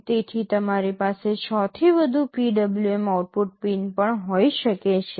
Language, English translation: Gujarati, So, you can have more than 6 PWM output pins also